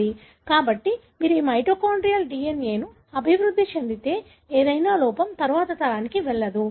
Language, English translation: Telugu, So, any defect that if you have developed in your mitochondrial DNA that is not going to the next generation